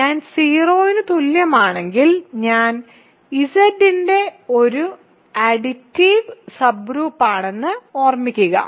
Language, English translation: Malayalam, If I is equal to 0 remember I is an additive subgroup of Z